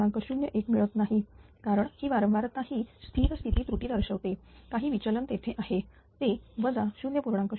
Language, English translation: Marathi, 01 because that is frequency that it it is showing that steady state error some deviation is there that minus 0